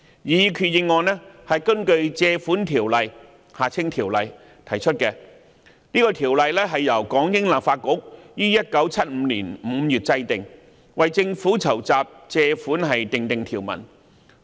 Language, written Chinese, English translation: Cantonese, 擬議決議案根據《條例》提出，這項《條例》由港英立法局於1975年5月制定，為政府籌集借款訂定條文。, The proposed resolution is moved by virtue of the Ordinance . The Ordinance was enacted in May 1975 by the British Hong Kong Legislative Council to make provisions for the raising of loans by the Government